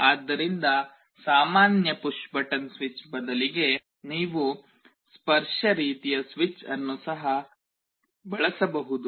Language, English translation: Kannada, So, instead of a normal push button switch, you can also use a touch kind of a switch